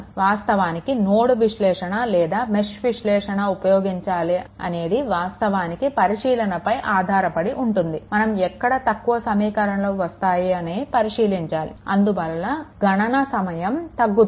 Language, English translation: Telugu, Actually whether you use nodal analysis or mesh analysis actually it depends on your what you call that in probably observation you have see that where number of equation will be less such that your competition will be less right